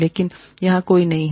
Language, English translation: Hindi, But, there is nobody here